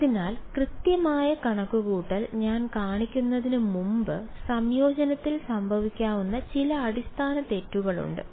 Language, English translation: Malayalam, So, before I show you the exact calculation there is some very basic mistakes that can happen in integration